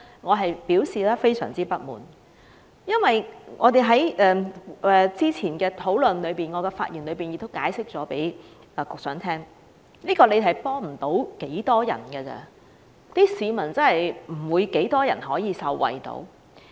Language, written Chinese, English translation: Cantonese, 我感到非常不滿，因為我們在早前的討論中，以及在我的發言中已向局長解釋，這項措施能幫助的人不多，很少市民能夠受惠。, This initiative as we have explained to the Secretary in our earlier discussion and my earlier speeches can only benefit a small number of taxpayers and I am deeply dissatisfied with it